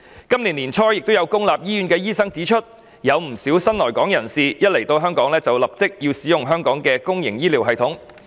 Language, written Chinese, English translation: Cantonese, 今年年初亦有公立醫院醫生指出，不少新來港人士一抵港便立即使用香港的公營醫療系統。, As pointed out by some public hospital doctors early this year many new arrivals hasten to use our public healthcare system upon entering Hong Kong